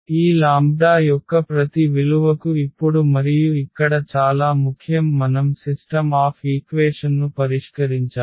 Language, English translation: Telugu, So, it is very important now and here for each value of this lambda we need to solve the system of equations